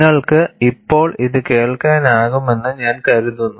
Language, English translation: Malayalam, I think you can hear it now